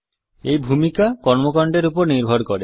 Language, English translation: Bengali, This role depends on the activity